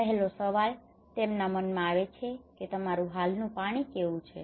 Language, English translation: Gujarati, The first question come to their mind that how is your present water